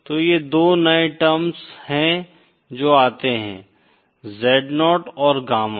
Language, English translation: Hindi, So these are 2 new terms that come, Z0 and gamma